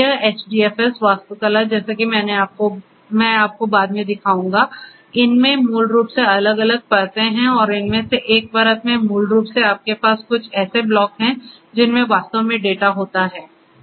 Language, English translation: Hindi, This HDFS architecture as I will show you later on, HDFS architecture basically has different layers and in one of these layers basically what you have are something known as the blocks which actually contains the data